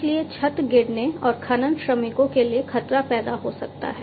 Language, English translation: Hindi, So, it might collapse and cause a hazard to the mining workers